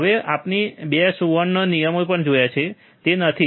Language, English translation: Gujarati, Now, we have also seen 2 golden rules, isn't it